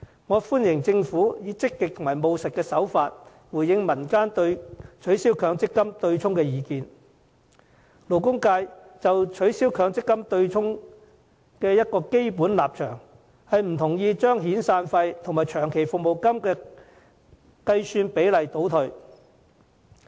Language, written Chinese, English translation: Cantonese, 我們歡迎政府以積極和務實的方式回應民間對取消強積金對沖的意見，勞工界就取消強積金對沖的基本立場是不同意降低遣散費及長期服務金的計算比例。, While we welcome the pro - active and pragmatic manner in which the Government is responding to the public views on the abolition of the MPF offsetting mechanism it is the basic stance of the labour sector in respect of the abolition of the mechanism to oppose the lowering of the ratio according to which the calculation of long service and severance payments are done